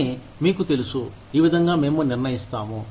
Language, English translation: Telugu, But, you know, this is how, we decide